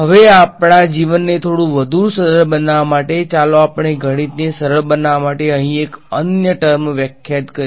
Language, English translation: Gujarati, Now, to make our life a little bit more simpler, let us define yet another term over here just to simplify the math